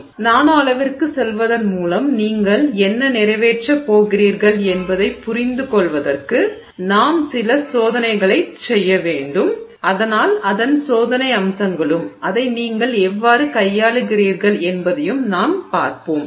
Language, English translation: Tamil, So, for you to understand what you are accomplishing by going to the nanoscale, we have to do some experiments and so that experimental aspects of it and how you handle it is something that we will look at